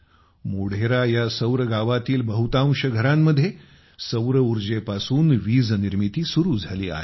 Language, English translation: Marathi, Most of the houses in Modhera Surya Gram have started generating electricity from solar power